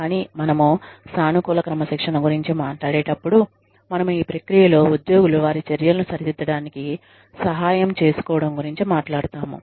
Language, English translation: Telugu, But, when we talk about positive discipline, we are talking about, a process in which, employees are helped, to correct their actions